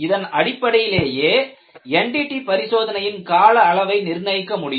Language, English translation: Tamil, Only on this basis, you would be in a position to decide on the NDT schedule